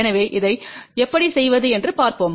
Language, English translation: Tamil, So, let us see how do we do that